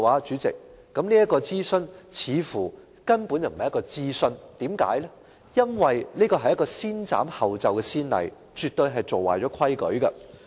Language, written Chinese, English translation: Cantonese, 主席，這根本不是諮詢，因為這立下"先斬後奏"的先例，絕對是做壞規矩。, President this is not a consultation at all because this sets a bad precedent of acting first and reporting later